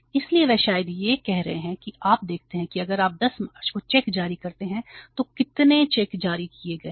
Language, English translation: Hindi, So they are issuing the maybe you see that if you talk about the 10th of the March, how many checks they have issued